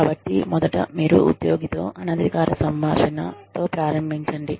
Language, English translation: Telugu, So, you first start with an informal conversation, with the employee